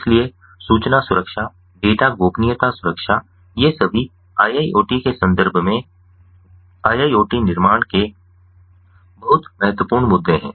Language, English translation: Hindi, so information security, data, ah, privacy protection all these are very crucial issues in the context of iiot, building of iiot